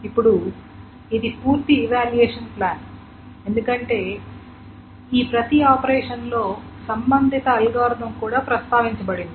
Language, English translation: Telugu, So this is the complete evaluation plan because each of these operations, the corresponding algorithm is also mentioned